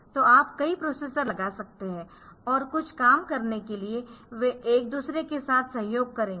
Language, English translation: Hindi, So, you can put a number of processors and they will be cooperating with each other for doing some jobs done